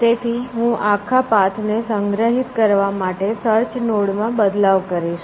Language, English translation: Gujarati, So, I modify this search node, to store the entire path